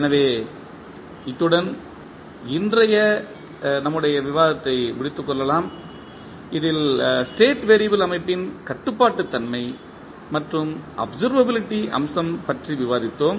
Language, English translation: Tamil, So, with this we can close our today’s discussion in which we discuss about the controllability and observability aspect of the State variable system